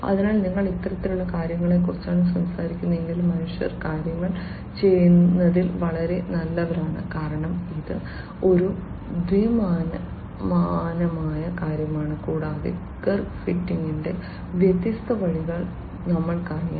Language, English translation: Malayalam, So, if you are talking about this kind of thing, the humans are very good in doing things because it is a 2 dimensional thing and we know different ways of curve fitting etcetera